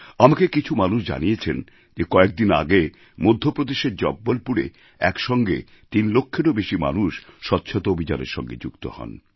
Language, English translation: Bengali, I was told that a few days ago, in Jabalpur, Madhya Pradesh, over three lakh people came together to work for the sanitation campaign